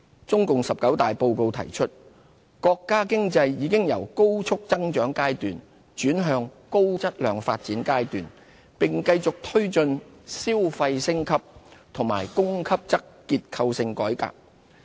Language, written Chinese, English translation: Cantonese, 中共十九大報告提出，國家經濟已由高速增長階段轉向高質量發展階段，並繼續推進消費升級和供給側結構性改革。, As stated in the report to the 19 CPC National Congress the national economy has been transforming from a phase of rapid growth to high - quality development and China will continue to forge ahead with consumption upgrading and the supply - side structural reform